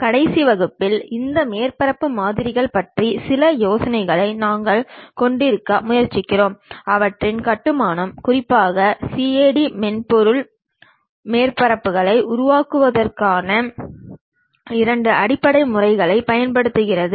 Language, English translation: Tamil, In the last class, we try to have some idea about this surface models and their construction especially CAD software uses two basic methods of creation of surfaces